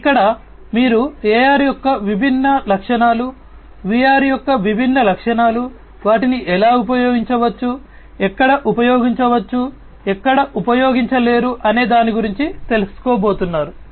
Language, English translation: Telugu, So, here you are just going to learn about the different features of AR, different features of VR, how they can be used, where they can be used, where they cannot be used